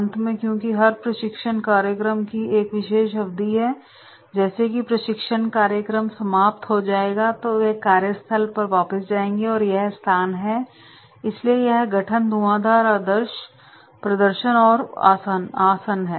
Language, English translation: Hindi, And then finally because every training program you have particular duration of time so as soon as training program will be over so they will be going back to the workplace and that is the adjourning so it is forming, storming, norming, performing and adjoining